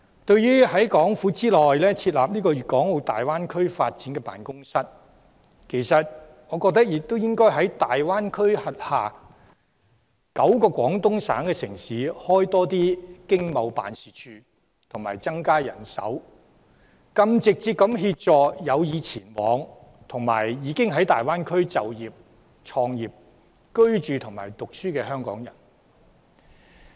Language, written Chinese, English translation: Cantonese, 對於在港府內設立粵港澳大灣區發展辦公室，其實我認為亦應該在大灣區轄下9個廣東省城市設立經貿辦事處及增加人手，更直接地協助有意前往，以及已經在大灣區就業、創業、居住或就學的香港人。, In respect of the Greater Bay Area Development Office to be established within the Government I believe that in the nine Guangdong cities within the Greater Bay Area Economic and Trade Offices should also be set up and endowed with more manpower so that we can more directly help those Hong Kong people who intend to go there or who are already working having started up businesses living or studying there